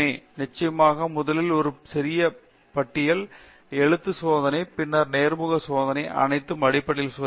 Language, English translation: Tamil, Of course, first we have a short listing and then a written test and then interview process both the written test and interview process test their fundamentals